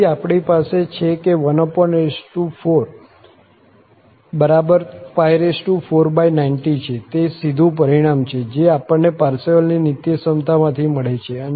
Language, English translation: Gujarati, So, we have that 1 over n 4 is equal to pi 4 over 90, that is the direct result from the Parseval's Identity we got